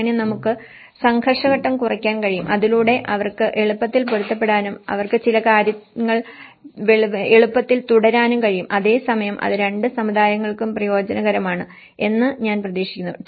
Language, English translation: Malayalam, So that we can reduce the conflict stage so that they can easily adapt and they can easily continue certain things and at the same time it is a benefit for both the communities